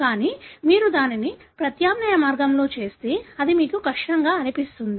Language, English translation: Telugu, But if you do it in alternate way, you will find it is difficult